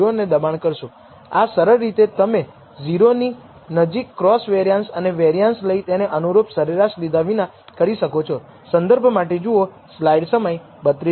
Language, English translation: Gujarati, That can be done by simply taking the cross covariance and variance around 0 instead of around their respective means